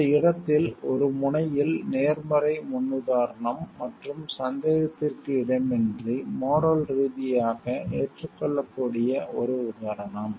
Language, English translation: Tamil, At one in this place the positive paradigm, and at the example of something that is unambiguously morally acceptable